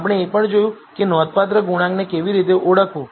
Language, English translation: Gujarati, We also saw how to identify the significant coefficients